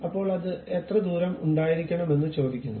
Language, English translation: Malayalam, Then it ask how much distance it has to be there